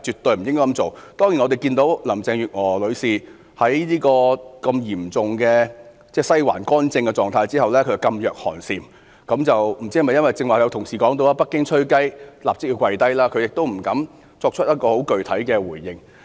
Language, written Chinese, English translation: Cantonese, 當然，我看到林鄭月娥女士在現時"西環干政"的嚴重狀態下，噤若寒蟬，不知道是否由於剛才同事所說，"北京'吹雞'，立即跪低"，而她亦不敢作出具體回應。, Certainly I see that under the existing severe political intervention by the Western District Ms Carrie LAM has kept her mouth shut . I wonder if it is because as an Honourable colleague said just now as soon as Beijing blows the whistle everyone will comply immediately and she dares not make any specific response